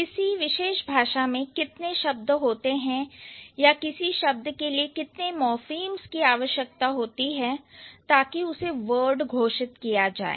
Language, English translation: Hindi, So, the idea here is that how many words does a particular language have or how many morphemps would a particular word require to be considered as a word